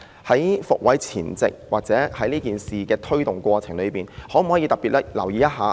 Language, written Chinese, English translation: Cantonese, 在"復位"前，或者在這事的推動過程中，當局可否特別留意一下？, Would the authorities please pay particular attention to the situation before promoting place reinstatement or in the course of it?